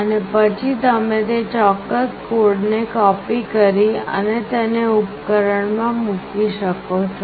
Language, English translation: Gujarati, And you can then copy that particular code and put it in the device